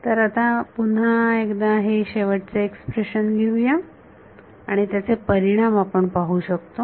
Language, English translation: Marathi, So, let us write down this final expression once again and then we can see the implications of it